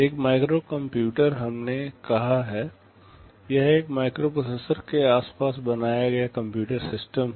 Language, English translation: Hindi, A microcomputer we have said, it is a computer system built around a microprocessor